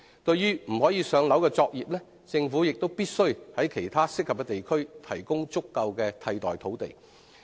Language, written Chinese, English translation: Cantonese, 對於不可"上樓"的作業，政府必須在其他適合的地區提供足夠的替代土地。, As regards operations that cannot be relocated to buildings the Government must provide enough alternative sites for them in other suitable districts